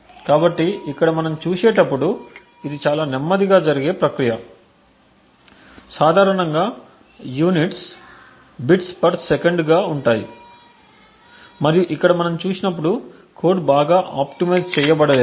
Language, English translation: Telugu, So, over here as we see it is an extremely slow process, so typically the units would be something like bits per second and as we see over here the code is not very optimised